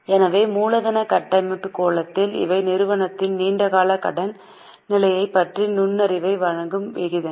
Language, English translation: Tamil, So, from the capital structure angle, these are the ratios which gives insight into long term solvency position of the company